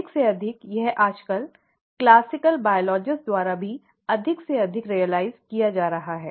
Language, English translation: Hindi, More and more, that is being realized more and more even by classical biologists nowadays